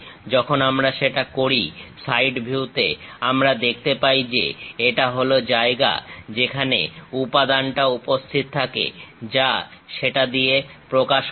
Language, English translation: Bengali, When we do that, on the side view; we can clearly see that, this is the place where material is present, represented by that